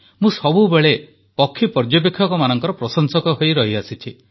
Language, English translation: Odia, I have always been an ardent admirer of people who are fond of bird watching